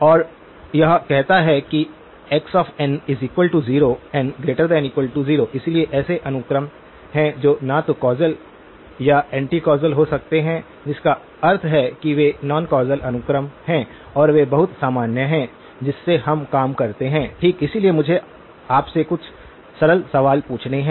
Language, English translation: Hindi, And that says that x of n must be equal to 0, for n greater than or equal to 0, so there are sequences that will be that can be neither causal or anti causal which means that they are non causal sequences and those are very common that we work with okay, so let me ask you to answer a few simple questions